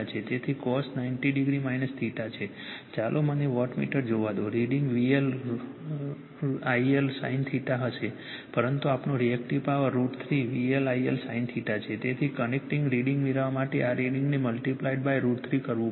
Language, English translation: Gujarati, So, cos ninety degree minus theta , let me wattmeter , reading will be V L I L sin theta right , but our Reactive Power is root 3 V L I L sin theta ,then this reading has to be multiplied by root 3 to get the connect reading right